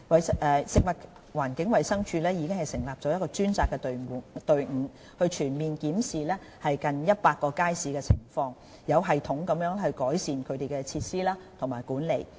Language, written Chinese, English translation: Cantonese, 食物環境衞生署已成立專責隊伍，全面檢視現有近100個街市的情況，有系統地改善其設施和管理。, The Food and Environmental Hygiene Department has formed a dedicated team to conduct a comprehensive review of nearly 100 public markets for the improvement of their facilities and management in a systematic manner